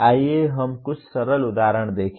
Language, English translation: Hindi, Let us look at some simple examples